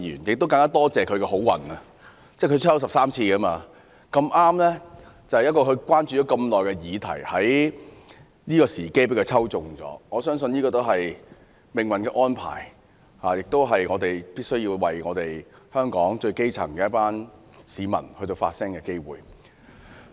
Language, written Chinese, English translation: Cantonese, 我更感謝他這次的幸運，他已抽籤13次，而他竟在這個時候中籤，恰巧是他關注已久的議題的重要時刻，我相信這是命運的安排，更是我們必須為香港最基層的一群市民發聲的機會。, I am glad that he has the luck this time around . I mean he has been unsuccessful in obtaining a debate slot in 13 ballots but it turns out he is successful this time when a debate is critical to the question he has shown concern for a long time . I believe this is an opportunity granted by fate and we must speak for the grass roots the lowest stratum in society in Hong Kong